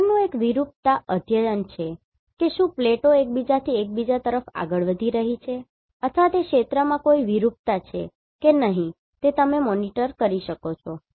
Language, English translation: Gujarati, The next one is deformation studies whether the plates are moving away from each other towards each other or whether there is any deformation in that particular area or not that you can monitor